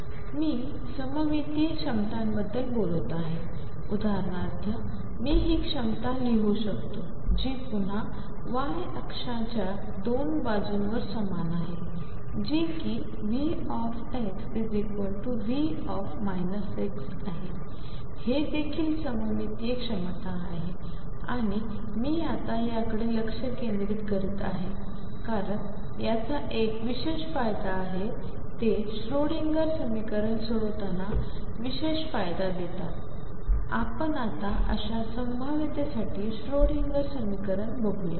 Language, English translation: Marathi, So, I am talking about symmetric potentials, for example, I could write this potential which is again the same on 2 of sides the y axis, this is also V x equals V minus x, this is also symmetric potential and why I am focusing on these write now is that they have a special advantage they provide special advantage while solving the Schrodinger equation let me look at the Schrodinger equation for such potentials